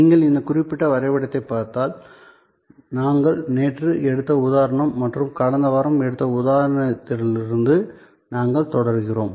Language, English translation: Tamil, So, if you look at this particular diagram and we are continuing from the example that we had taken yesterday and the example we took last week as well